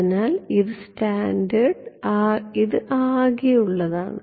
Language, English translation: Malayalam, So, this is scattered this is total ok